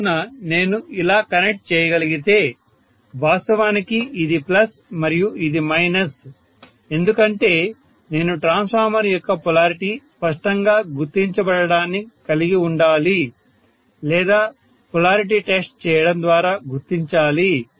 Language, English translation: Telugu, So I could have connected it in such a way that, if is actually plus and this is minus because I would have the polarity of the transformer clearly marked or I have to mark that leaves us to polarity test, let me tell you that also, polarity test, let me try to tell you little bit